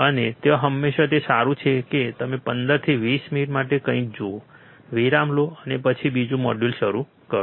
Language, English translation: Gujarati, And there it is always good that you look at something for 15 to 20 minutes take a break, and then start another module